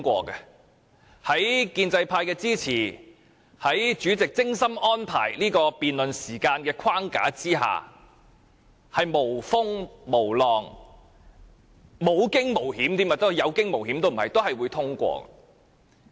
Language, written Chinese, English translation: Cantonese, 因為建制派的支持，也因為主席精心安排的這項辯論的時間框架，預算案會無風無浪，無驚無險，或即使是有驚無險，也總會被通過。, Because of the support rendered by the pro - establishment camp and because of the debate time frame neatly devised by the Chairman the Budget will be endorsed even if controversies and hiccups do arise